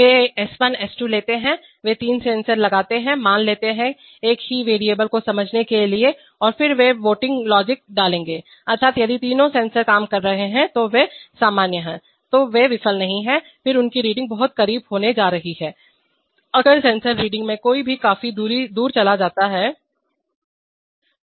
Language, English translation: Hindi, They takes S1, S2, they will put three sensors, suppose, to sense the same variable and then they will put a voting logic, that is, if all three of the sensors are working are normal, they have not failed then their readings are going to be very close, if any one of the sensor readings goes significantly away